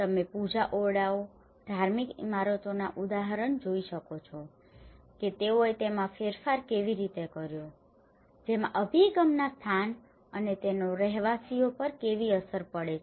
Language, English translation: Gujarati, You can see the example of the puja rooms, the religious buildings how they have modified those, including the location of the orientation and how it has an impact on the inhabitants